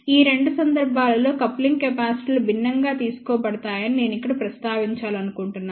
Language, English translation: Telugu, I just want to mention here the coupling capacitors are taken different in these two cases